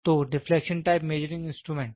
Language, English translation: Hindi, So, the deflection type measuring instrument